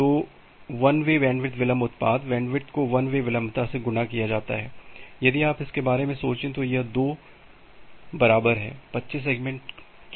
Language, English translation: Hindi, The one way bandwidth delay product, the bandwidth multiplied by one way latency into your if you think about it into 2 equal to 25 segments